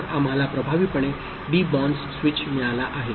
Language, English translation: Marathi, So, effectively we have got a debounce switch